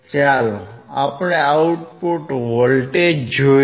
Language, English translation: Gujarati, I want to measure the output voltage Vo